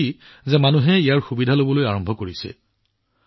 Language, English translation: Assamese, I am glad that people have started taking advantage of it